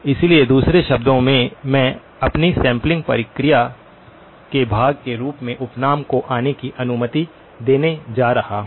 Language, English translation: Hindi, So, in other words I am going to allow aliasing to come in as part of my sampling process